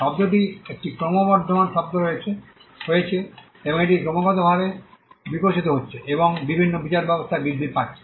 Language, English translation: Bengali, The term has been an increasing term and it is been constantly evolving and increasing in different jurisdictions